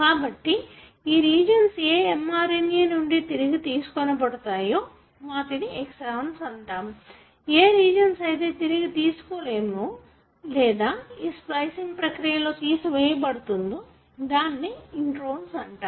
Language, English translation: Telugu, So, the regions that are retained in the mRNA are called the exons and the regions that are not retained, or removed during this splicing process are called as introns